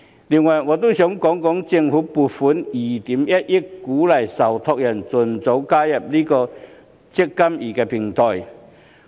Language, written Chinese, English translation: Cantonese, 另外，我想講一講政府撥款2億 1,000 萬元鼓勵受託人盡早加入"積金易"平台。, Besides I would like to talk about the provision of 210 million government funding to incentivize trustees early boarding to the eMPF Platform